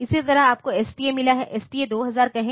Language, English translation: Hindi, Similarly, you have got STA, say STA 2000